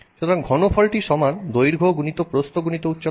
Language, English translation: Bengali, So, the volume equals length into height into width